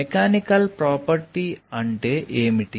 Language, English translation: Telugu, what is meant by the mechanical property